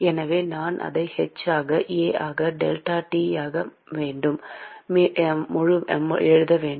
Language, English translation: Tamil, So, I can rewrite it as h into A into delta T